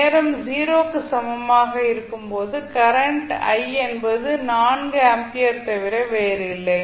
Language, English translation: Tamil, The initial current that is current at time t is equal to 0 is 4 ampere